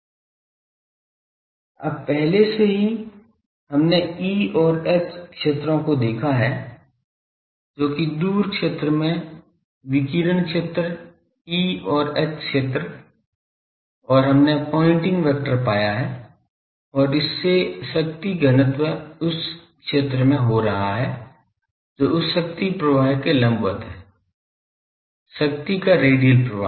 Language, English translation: Hindi, Now, already we have seen E and H fields that radiation fields in the far field , the E and H fields and we have found the pointing vector and from that the power density that is taking place in a area which is perpendicular to that flow of power , radial flow of power